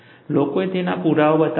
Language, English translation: Gujarati, People have shown evidence of that